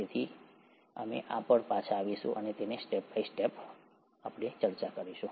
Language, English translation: Gujarati, So we’ll come back to this and see it in a step by step fashion